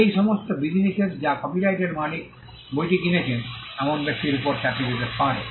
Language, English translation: Bengali, All these are restrictions that the owner of the copyright can impose on a person who has purchased the book